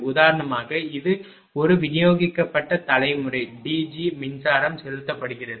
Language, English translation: Tamil, For example, this is a distributed generation D G the power being injected